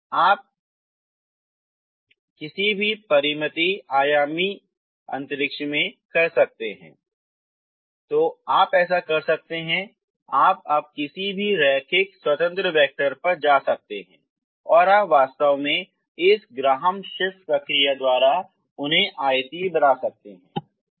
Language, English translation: Hindi, You can make them so by this process this is i just explained the space or the plane ok, so this you can do in any finite dimensional space, So you can do this you can go on now ok, any given linearly independent vectors you can actually make them orthogonal ok by this Graham Schmit process ok